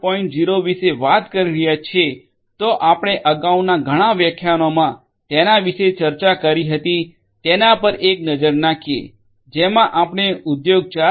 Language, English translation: Gujarati, 0, take a look at what we discussed earlier several lectures back we talked about Industry 4